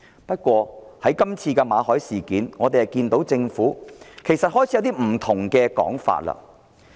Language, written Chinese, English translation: Cantonese, 不過，在馬凱事件上，政府已開始出現不同的說法。, However the Government has offered different interpretations of the Victor MALLET incident